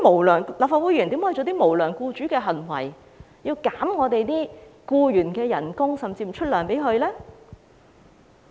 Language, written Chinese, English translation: Cantonese, 立法會議員怎能做出無良僱主的行為，削減僱員的工資，甚至不發薪呢？, This is a matter of course . How can Members of the Legislative Council act like an unscrupulous employer who reduces the salaries of his employees or makes no payment to them?